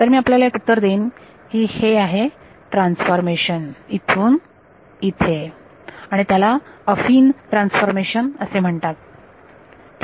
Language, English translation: Marathi, So, I will give you the answer turns out there is a transformation from here to here and it is called an Affine transformation